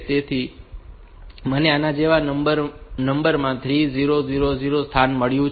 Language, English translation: Gujarati, So, I have got at location 3000 in the number like this